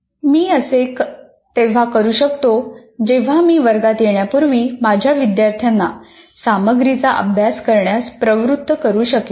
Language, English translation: Marathi, I can do that provided the student, I can persuade my students to study the material before coming to the class